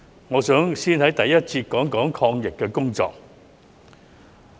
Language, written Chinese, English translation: Cantonese, 我想先在第一節討論抗疫的工作。, First of all I would like to discuss the anti - pandemic efforts in the first session